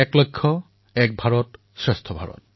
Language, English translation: Assamese, Ek Bharat, Shreshth Bharat